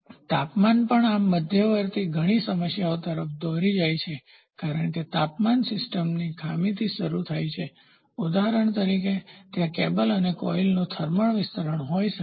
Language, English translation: Gujarati, The temperature also leads to a lot of problems in this intermediate modifying as the temperature goes high the system starts malfunctioning; for example, there can be a thermal expansion of the cable and the coil